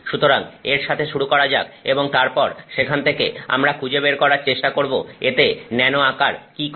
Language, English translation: Bengali, So, let's start with that and then from there we will figure out what the nano size does to it